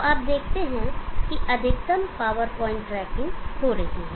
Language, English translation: Hindi, So you see that maximum power point tracking is happening